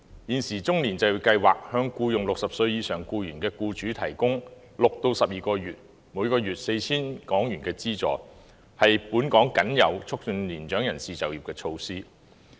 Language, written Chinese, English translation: Cantonese, 現時中高齡就業計劃向僱用60歲及以上僱員的僱主提供6至12個月、每月 4,000 港元的資助，是本港僅有促進年長人士就業的措施。, At present EPEM provides a monthly subsidy of 4,000 for 6 to 12 months to employers who hire employees aged 60 or above and it is the only measure promoting the employment of elderly people in Hong Kong